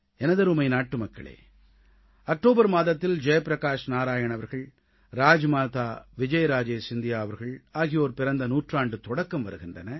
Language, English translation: Tamil, My dear countrymen, the month of October heralds, Jai Prakash Narayan ji's birth anniversary, the beginning of the birth centenary of RajmataVijayarajeScindiaji